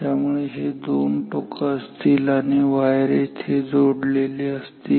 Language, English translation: Marathi, So, these are these 2 lids and wires are connected here